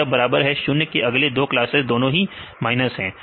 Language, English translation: Hindi, So, this is equal to 0 right next 2 classes both are minus